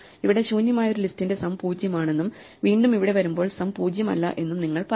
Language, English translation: Malayalam, So, you would say that for a list which is empty, the sum is 0 and again coming here sum is not